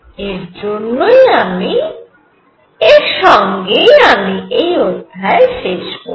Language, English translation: Bengali, And with this I conclude this lecture